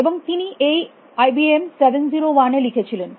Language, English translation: Bengali, And he wrote it in this IBM 701 perusing